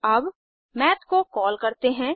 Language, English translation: Hindi, Now let us call Math